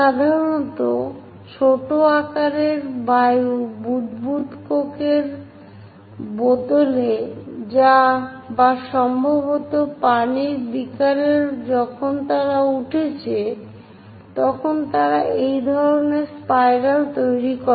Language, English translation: Bengali, Typically, small size air bubbles in coke bottles or perhaps in water beakers when they are rising they make this kind of spirals